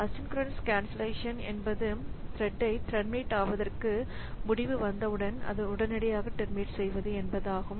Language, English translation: Tamil, So, asynchronous cancellation means that it you as soon as there is a decision to terminate the thread so it is terminated immediately